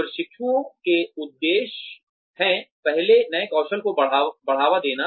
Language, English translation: Hindi, The objectives of apprenticeship are, first is promotion of new skills